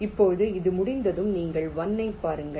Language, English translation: Tamil, now, once this is done, you look at one net one